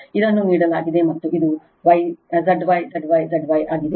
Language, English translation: Kannada, This is given and this is Z Y, Z Y, Z Y right